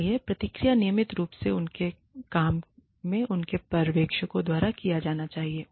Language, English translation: Hindi, So, the feedback, routinely, their work should be visited, by their supervisors